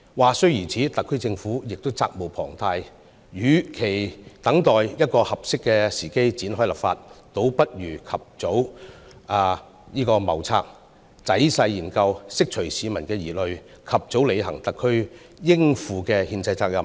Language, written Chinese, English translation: Cantonese, 話雖如此，特區政府亦責無旁貸，與其等待一個合適時機展開立法，倒不如及早謀策，仔細研究，釋除市民疑慮，及早履行特區應負的憲制責任。, Despite the difficulties the SAR Government is duty - bound to enact legislation . Instead of waiting for an appropriate time to start the legislative process the SAR Government should plan ahead make detailed study to allay public concerns and fulfil its constitutional responsibility as early as possible